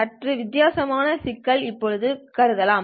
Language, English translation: Tamil, Now let us consider a slightly different problem